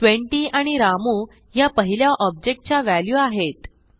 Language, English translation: Marathi, The first object has the values 20 and Ramu